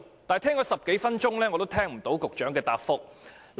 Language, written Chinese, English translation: Cantonese, 可是，我聽了10多分鐘仍未聽到局長有何回覆。, And yet after listening for more than 10 minutes I have yet to hear any response from the Secretary